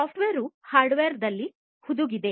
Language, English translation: Kannada, So, the software is embedded in the hardware